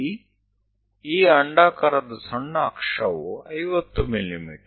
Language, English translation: Kannada, Here example is minor axis 50 mm